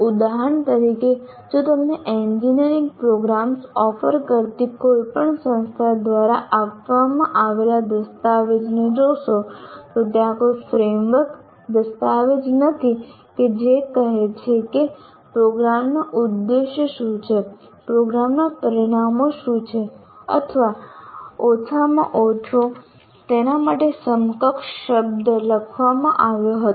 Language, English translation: Gujarati, For example, if you look at any document given by any institution offering engineering programs, there is no framework document saying that what are the objectives of the program, what are the program outcomes or at least any equivalent word for that